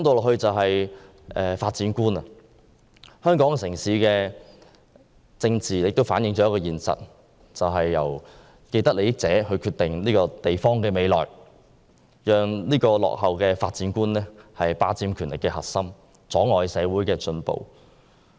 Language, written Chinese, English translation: Cantonese, 香港的政治反映了一個現實，就是由既得利益者決定這個城市的未來，讓這種落後的發展觀霸佔權力核心，阻礙社會進步。, Politics in Hong Kong reflects the fact that the future of this city is determined by those with vested power . If people with this outdated concept are the ruling team they will hamper the progress of the community